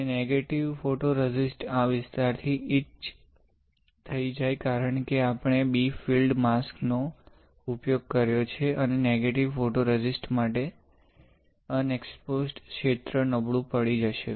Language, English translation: Gujarati, And why the negative photoresist got etched from this area, because we have used a bright field mask and the unexposed region for negative photoresist will become weaker, right